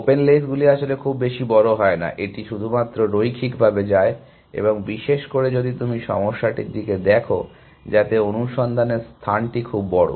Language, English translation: Bengali, Open lays does not go too large in fact, it goes linearly only and especially, if you are looking at problems, in which thus search space is very huge